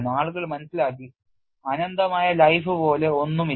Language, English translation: Malayalam, People have understood that nothing like an infinite life